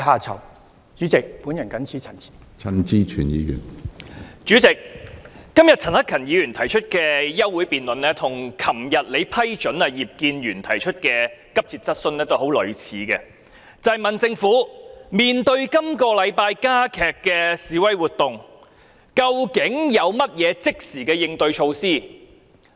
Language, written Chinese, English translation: Cantonese, 主席，陳克勤議員今天提出的休會待續議案，內容與你昨天批准葉建源議員提出的急切質詢相當類似，皆是詢問政府面對本周加劇的示威活動，究竟有何即時應對措施？, President the contents of the adjournment motion moved by Mr CHAN Hak - kan today are very much similar to those of the urgent question raised by Mr IP Kin - yuen and approved by you yesterday and in both cases the Government has been asked about the immediate countermeasures adopted in response to the intensification of demonstration activities this week